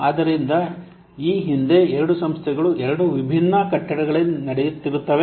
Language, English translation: Kannada, So previously the two organizations they were running in two different what's building